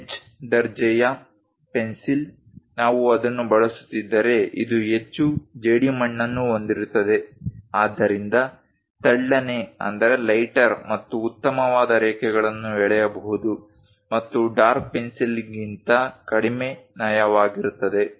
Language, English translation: Kannada, Whereas a H grade pencil, if we are using it, this contains more clay, lighter and finer lines can be drawn and less smudgy than dark pencil